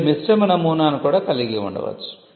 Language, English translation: Telugu, You could also have a mixed model